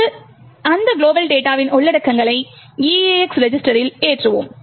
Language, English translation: Tamil, Now, we load the contents of that global data into EAX register